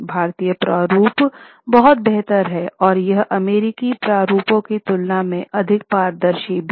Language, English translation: Hindi, Indian formats are much better, much more transparent compared to US formats